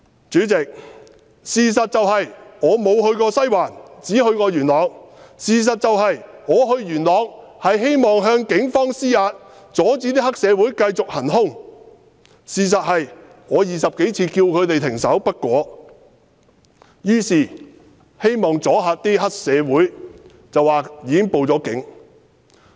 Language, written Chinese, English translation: Cantonese, 主席，事實是我沒有去過西環，只去過元朗；事實是我去元朗，是希望向警方施壓，要他們阻止黑社會行兇；事實是我20多次叫停黑社會分子不果，於是希望阻嚇他們，說已報了警。, Has the whole world become so absurd? . President the fact is that I did not go the Western District and I only went to Yuen Long; the fact is that I went to Yuen Long to put pressure on the Police to stop the triads violent attacks; the fact is that I asked the triad members to stop beating for over 20 times but to no avail and hence I wanted to intimidate and stop them by saying that I had called the Police